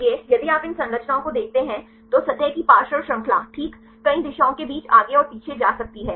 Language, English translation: Hindi, So, if you look into these structures the side chain of the surface may just wag back and forth right between several conformations